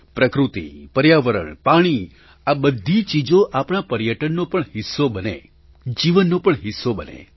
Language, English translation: Gujarati, Nature, environment, water all these things should not only be part of our tourism they should also be a part of our lives